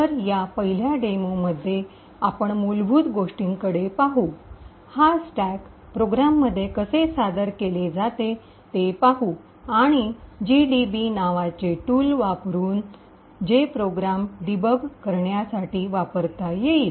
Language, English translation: Marathi, So, in this first demo we will actually look at the basics we will see how this stack is presented in a program and we will also uses a tool called gdb which can be used to actually debug these programs